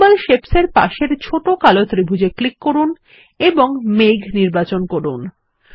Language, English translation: Bengali, Click on the small black triangle next to Symbol Shapes and select the Cloud